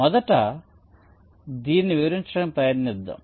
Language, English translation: Telugu, lets try to explain this first